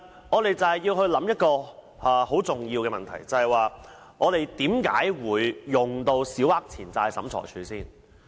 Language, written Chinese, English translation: Cantonese, 我們必須考慮一個很重要的問題，就是市民在甚麼情況下會利用審裁處。, We must take into consideration a very important question and that is under what circumstances will members of the public seek help from SCT?